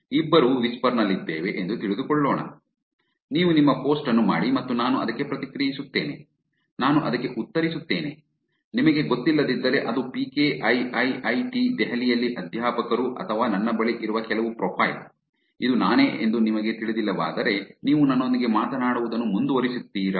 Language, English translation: Kannada, Let's take both of are on whisper, you do your post and I come react to it, I do a reply to it, if you do not know it is PK, who is the faculty at IIIT Delhi or some profile that I have, if you do not know that it is me, will you continue talking to me